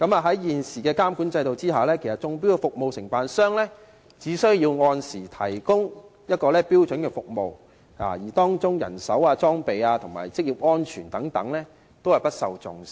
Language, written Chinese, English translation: Cantonese, 在現行監管制度下，中標的服務承辦商只需按時提供標準服務，而當中的人手、裝備及職業安全等問題均不受重視。, Under the existing regulatory regime the service contractor winning the bid needs only provide standard services as scheduled . Matters such as manpower equipment and occupational safety are not given any serious attention